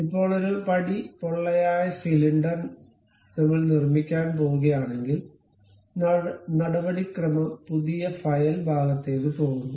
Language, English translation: Malayalam, Now, a stepped hollow cylinder if we are going to construct, the procedure is go to new file part ok